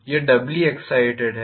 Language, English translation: Hindi, It is doubly excited